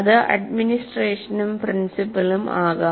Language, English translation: Malayalam, It could be administration and principal